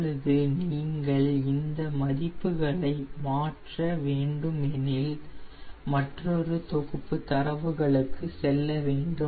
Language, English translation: Tamil, now if you want to change these value, you have to go for another set of